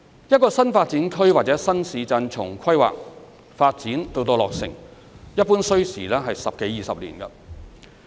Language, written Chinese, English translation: Cantonese, 一個新發展區或新市鎮從規劃、發展到落成，一般需時十多二十年。, To develop an NDA or a new town it usually takes 10 to 20 years from planning and building to full completion